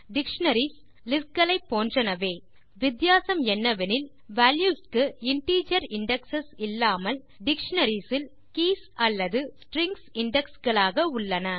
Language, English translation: Tamil, Dictionaries are similar to lists except that instead of the values having integer indexes, dictionaries have keys or strings as indexes